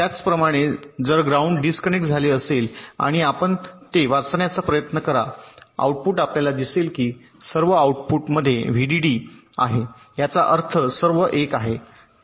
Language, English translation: Marathi, similarly, if ground is disconnected and you try to read out the outputs, you will see that all the outputs are having vdd